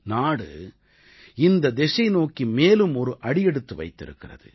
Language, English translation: Tamil, The country has taken another step towards this goal